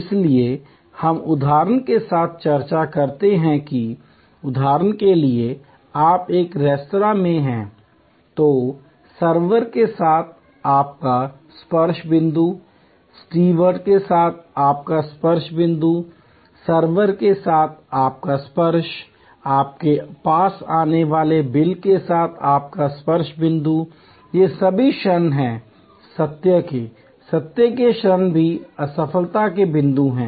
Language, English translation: Hindi, So, we discuss with example that for example, you are in a restaurant then your touch point with server, your touch point with the steward, your touch with the server, your touch point with the bill that comes to you, these are all moments of truth, the moments of truth are also points of failure